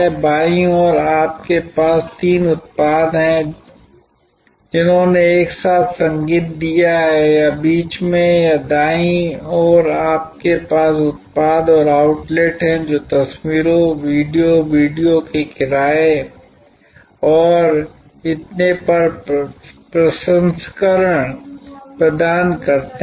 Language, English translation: Hindi, On the left hand side you have three products which together delivered music or in the middle or on the right you have products and outlets which provided photographs, processing of photographs, videos, rental of videos and so on